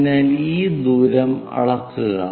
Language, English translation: Malayalam, So, measure this distance